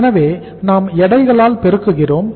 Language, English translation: Tamil, So we are multiplying by the weights